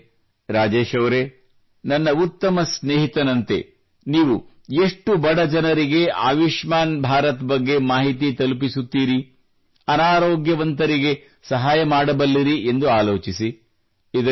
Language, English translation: Kannada, So Rajesh ji, by becoming a good friend of mine, you can explain this Ayushman Bharat scheme to as many poor people as you can